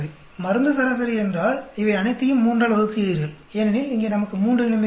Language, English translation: Tamil, Drug average means you add up all these divided by 3 because here we have three situations